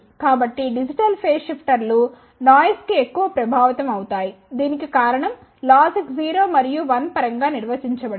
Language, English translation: Telugu, So, digital phase shifters are more immune to noise the reason for that is that these are defined in terms of logic 0 and 1